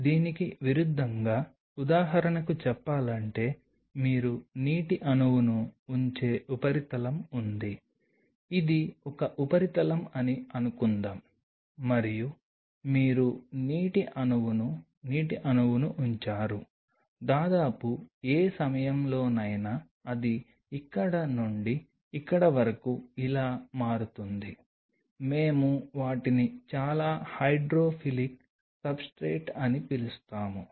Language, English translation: Telugu, On the contrary say for example, there are substrate where you put the water molecule suppose this is a substrate and you put the water molecule the water molecule almost in no time it will become like this from here to here we call them fairly hydrophilic substrate the water can really spread out very fast